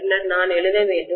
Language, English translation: Tamil, Then I have to write, mu